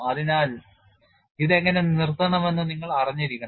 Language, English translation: Malayalam, So, you should know how to stop it